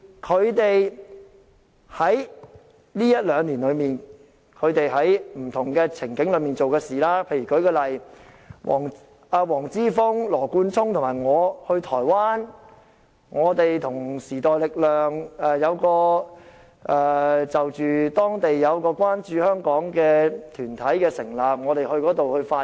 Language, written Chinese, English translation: Cantonese, 他們在這一兩年內，在不同場合所做的事，舉例來說，黃之峰、羅冠聰和我去台灣，就時代力量等成立的關注香港的團體，我們到那裏發言。, What they have done in various occasions over the past one or two years? . I cite an example . Earlier on I flied with Joshua WONG and Nathan LAW to Taiwan to make speeches at the establishment ceremony of a Hong Kong concern caucus set up by the New Power Party and some other parties